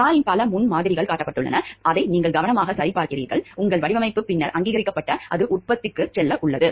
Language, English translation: Tamil, Several prototypes of the car are built, which you checked carefully; your design is then approved and it is about to go into production